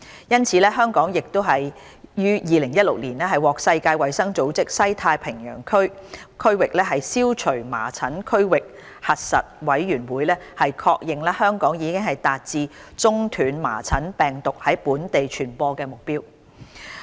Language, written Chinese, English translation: Cantonese, 因此，香港亦於2016年獲世界衞生組織西太平洋區域消除麻疹區域核實委員會確認，香港已達至中斷麻疹病毒在本地傳播的目標。, In this connection the Regional Verification Commission for Measles Elimination in the Western Pacific of the World Health Organization confirmed in 2016 that Hong Kong had achieved the interruption of endemic measles virus transmission